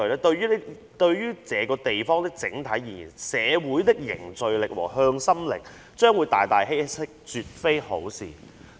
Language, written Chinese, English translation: Cantonese, 對於這個地方的整體而言，社會的凝聚力和向心力將會大大稀釋，絕非好事。, It is not desirable to Hong Kong as a whole because social cohesion and solidarity will be greatly reduced